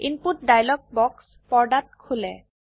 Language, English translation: Assamese, A dialog box opens on the screen